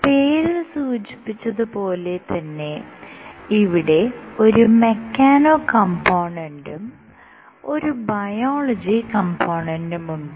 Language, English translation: Malayalam, As the name suggests you have a mechano and a biology component